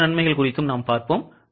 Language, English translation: Tamil, We will see the other advantages also